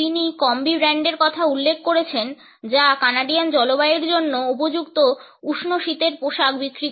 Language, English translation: Bengali, She has referred to the brand of Kombi which sells a warm winter clothing suitable for the Canadian climate